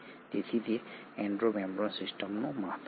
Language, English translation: Gujarati, So that is the importance of the Endo membrane system